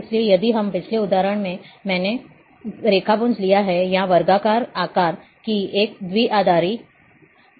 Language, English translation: Hindi, So, if we, in the previous example, I have taken raster, or an image binary image of square shape